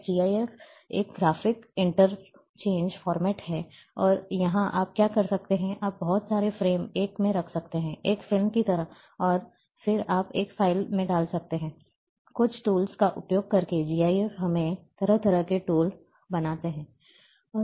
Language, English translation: Hindi, Now GIF is a graphic interchange format, and here what you can do, you can keep lot of frames in one, like a movie and then you put in a one file, by using certain tools GIF create us kind of tools